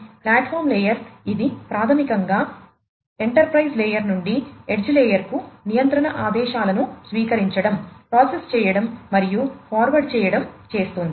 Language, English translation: Telugu, Platform layer basically it is concerning receiving, processing, and forwarding control commands from the enterprise layer to the edge layer